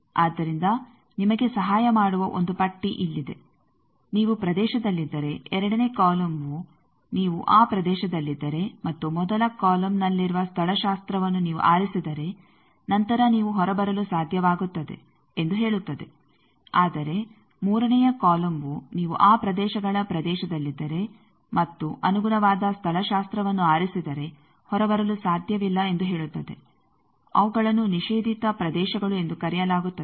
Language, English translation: Kannada, So, here is a list that will help you that if you are in region the first column, second column says that if you are in those regions and you choose the topology that is in the first column, then you will be able to come out, but if the third column says that if you are in region of those regions and you choose the that corresponding topology would not be able to come out those are called prohibited regions